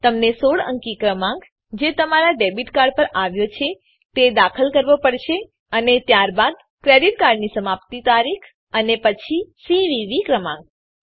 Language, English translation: Gujarati, You have to Enter the 16 digit number that comes on your debit card and then credit card expiry date and then CVV number